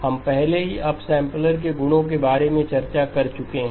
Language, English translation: Hindi, We have already discussed about the properties of the upsampler